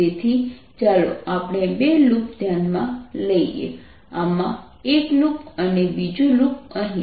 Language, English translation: Gujarati, so let's consider two loop, one loop in this and another loop here